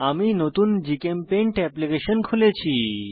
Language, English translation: Bengali, I have already opened a new GChemPaint application